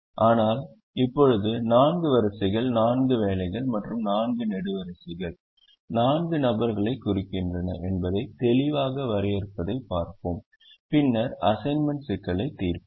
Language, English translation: Tamil, but right now let us look at defining clearly that the four rows represent the four jobs and the four columns the four people, and then let us solve the solve the assignment problem